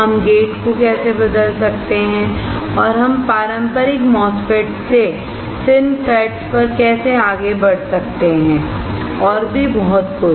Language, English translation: Hindi, How we can change the gate and how we can move from the traditional MOSFET to FINFETS and so on